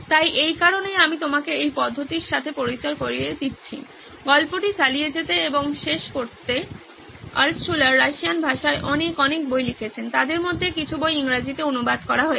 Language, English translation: Bengali, So this is why I am introducing you to this method, to continue and finish up the story Altshuller wrote many, many books in Russian Few of them were translated to English